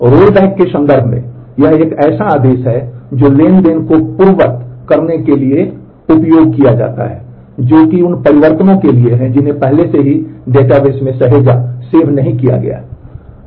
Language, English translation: Hindi, In terms of rollback it is a command which is used to undo transactions that is the changes that have already not been saved to the database you can roll back